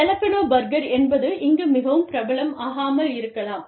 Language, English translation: Tamil, A Jalapeno burger, may not be, very, very, appreciated, more appreciated here